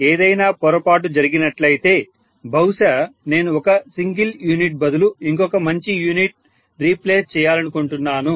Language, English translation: Telugu, If something goes wrong I would like to replace maybe one of the single base units by a good unit